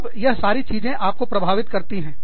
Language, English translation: Hindi, Then, all this tends to affect you